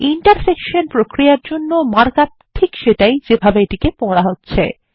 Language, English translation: Bengali, The markup for an intersection operation is again the same as we read it